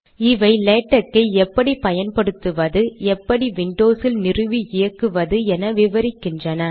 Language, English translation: Tamil, These explain how to use latex, this explains how to install and run latex on windows